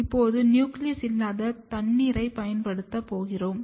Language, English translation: Tamil, Now, we will use nucleus free water